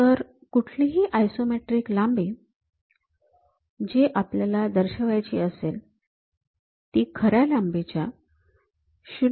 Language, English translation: Marathi, So, any isometric length whatever we are going to represent, that will be 0